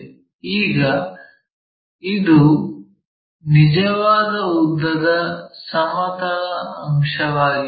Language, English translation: Kannada, Now, this is a horizontal component of true length